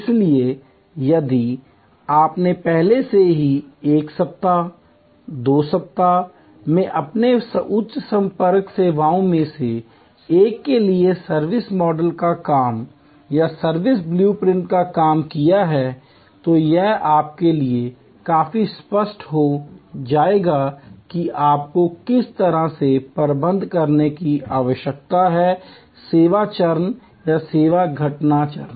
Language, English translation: Hindi, So, if you have already done the servuction model work or the service blue print work for one of these high contact services as your assignment in week 1, week 2, then this will become quite clear to you that how you need to manage the in service stage or the service occurrence stage